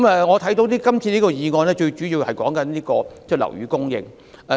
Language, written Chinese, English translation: Cantonese, 我看到今次的議案最主要是討論樓宇供應。, I find that the discussion of the motion this time round is focused mainly on the supply of residential flats